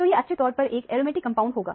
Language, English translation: Hindi, So, it could very well be an aromatic compound